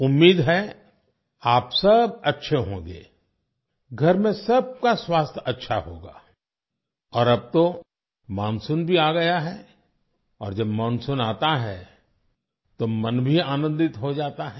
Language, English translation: Hindi, I hope all of you are well, all at home are keeping well… and now the monsoon has also arrived… When the monsoon arrives, the mind also gets delighted